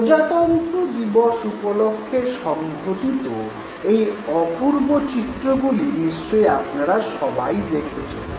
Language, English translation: Bengali, You must have seen these beautiful images in our Republic Day Parade